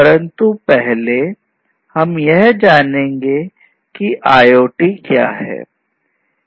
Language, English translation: Hindi, But first let us try to understand what is IoT